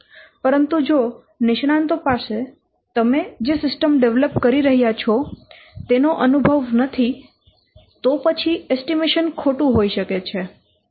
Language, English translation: Gujarati, But if the experts they don't have experience of the system that you are developing, then the estimation may be wrong